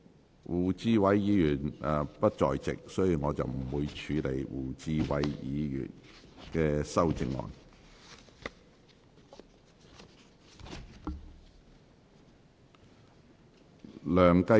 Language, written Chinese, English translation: Cantonese, 由於胡志偉議員不在席，本會不會處理他的修正案。, Since Mr WU Chi - wai is not in the Chamber Council will not proceed with his amendment